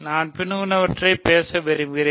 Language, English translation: Tamil, I want to talk about the following